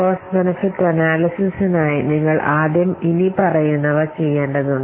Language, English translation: Malayalam, For cost benefit analysis, you need to do the following